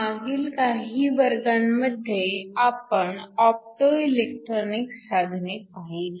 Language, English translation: Marathi, The last few classes we have been looking at Optoelectronic devices